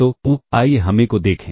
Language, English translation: Hindi, So, let us look at A